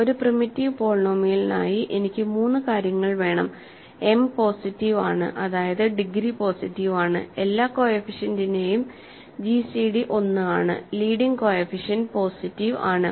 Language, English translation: Malayalam, I want 3 things for a primitive polynomial, m is positive that means, the degree is positive, the gcd of all the coefficients is one and the leading coefficient is positive